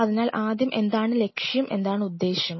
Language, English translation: Malayalam, So, first what is the objective and what is the purpose